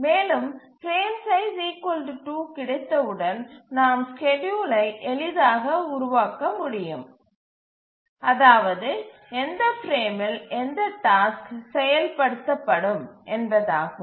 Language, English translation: Tamil, And once we have the frame size 2, then we can easily develop the schedule which frame, in which frame which task will execute